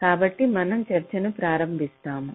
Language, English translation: Telugu, so we start our discussions